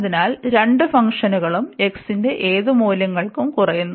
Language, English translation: Malayalam, So, both the functions, so here we have the decreasing function for whatever values of x